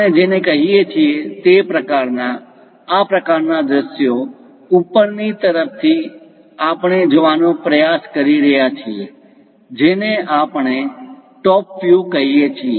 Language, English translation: Gujarati, This kind of views what we are calling, from top we are trying to look at this is what we call top view